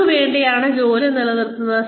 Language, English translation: Malayalam, There is nobody, who, work will stop for